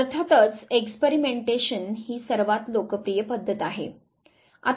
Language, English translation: Marathi, Experimentation of course is the most popular method